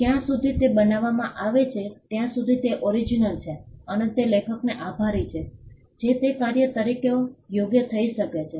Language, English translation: Gujarati, As long as it is created, it is original, and it is attributed to an author it can qualify as a work